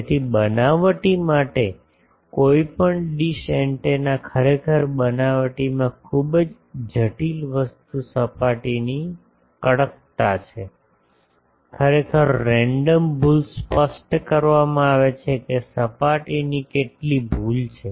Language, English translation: Gujarati, So, any dish antenna for fabrication actually the very critical thing in the fabrication is the surface roughness, actually the random error is specified that how much surface error is there